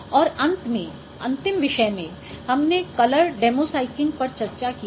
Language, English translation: Hindi, So, the other topic, the last topic what we discussed that is on color demosaking